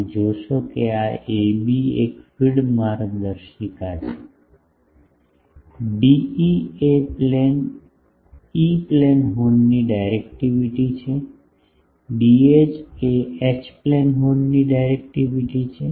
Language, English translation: Gujarati, You see remember this is a b the feed guide; D is the directivity of the E plane horn D H is the directivity of the H plane horn